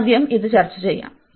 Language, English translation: Malayalam, So, let us just discuss this one first